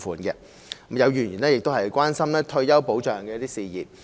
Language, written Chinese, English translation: Cantonese, 有議員亦關心退休保障的事宜。, Some Members have also expressed concern over retirement protection